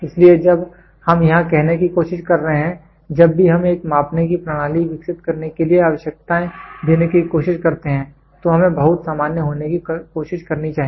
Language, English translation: Hindi, So, what we are trying to say here is whenever we try to give requirements for developing a measuring system we should try to may get very generic